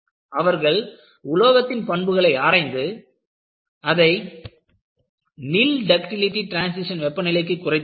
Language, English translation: Tamil, So, people have studied the material and they have been able to bring down this nil ductility transition temperature